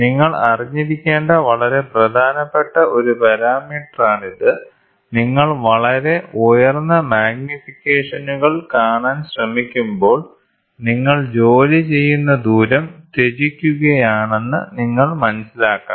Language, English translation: Malayalam, So, this is a very very important parameter you should know, when you try to look at very high magnifications, you should understand you are sacrificing the working distance